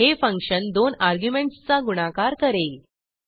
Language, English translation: Marathi, The function should multiply the two arguments